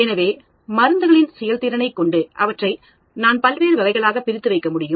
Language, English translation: Tamil, So, I can look at performance of drugs and I can put them into various categories